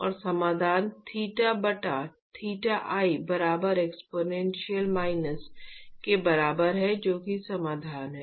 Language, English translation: Hindi, And the solution is theta by theta i equal to exponential minus that is the solution